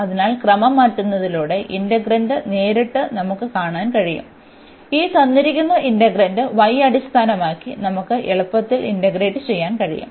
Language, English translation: Malayalam, So, by changing the order we can see directly looking at the integrand, that we can easily integrate with respect to y this given integrand